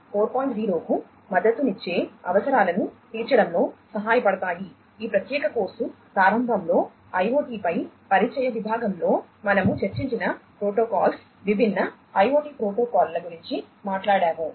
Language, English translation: Telugu, 0, protocols such as the ones that we have discussed in the introductory section on IoT at the outset of this particular course we talked about different IoT protocols